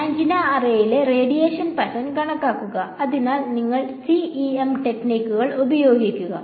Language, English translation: Malayalam, So, calculate the radiation pattern of on the antenna array, so you would use CEM techniques